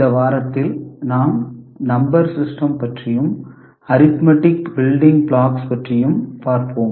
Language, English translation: Tamil, In this week, we shall look at Number System and arithmetic building blocks